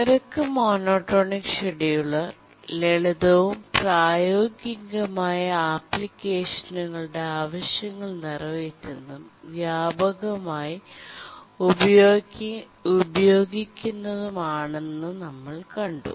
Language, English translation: Malayalam, And we found that the rate monotonic scheduler is the one which is simple and it can meet the demands of the practical applications and that's the one which is actually used widely